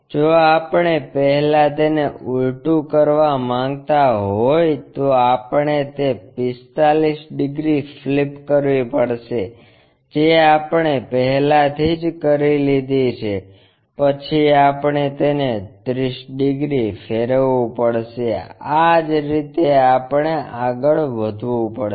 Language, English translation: Gujarati, If we want to reverse it first we have to flip that 45 degrees which we have already done then we have to turn it by 30 degrees, that is the way we have to proceed